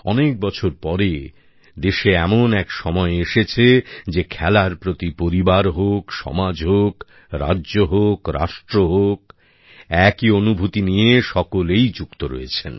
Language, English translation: Bengali, After years has the country witnessed a period where, in families, in society, in States, in the Nation, all the people are single mindedly forging a bond with Sports